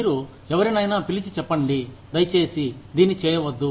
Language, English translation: Telugu, You call somebody, and tell them, please do not do this